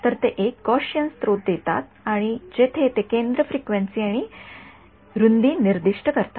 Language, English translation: Marathi, So, they give a Gaussian source where they specify the centre frequency and the width